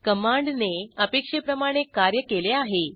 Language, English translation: Marathi, The command worked as expected